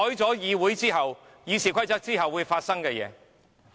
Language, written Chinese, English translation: Cantonese, 這便是修改《議事規則》之後會發生的情況。, This is what will happen after the amendments to RoP